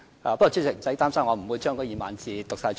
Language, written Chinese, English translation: Cantonese, 不過，主席，不用擔心，我不會將那2萬字全部讀出來。, But President do not worry . I will not read out all 20 000 words here now